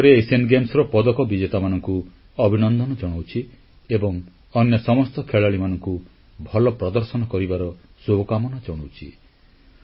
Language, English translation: Odia, Once again, I congratulate the medal winners at the Asian Games and also wish the remaining players perform well